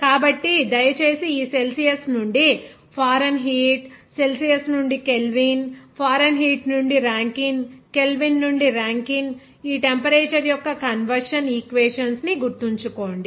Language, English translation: Telugu, So, please remember this conversion equation of this temperature from Fahrenheit from this Celsius, even temperature in Kelvin from Celsius, even temperature from Fahrenheit to Rankin, even temperature from Kelvin to Rankin like this